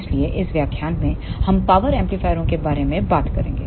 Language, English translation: Hindi, So, in this lecture we will talk about the power amplifiers